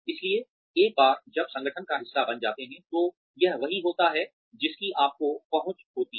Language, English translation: Hindi, So, once you become a part of the organization, this is what, you have access to